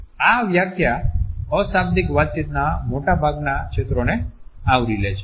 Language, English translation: Gujarati, This definition covers most of the fields of nonverbal communication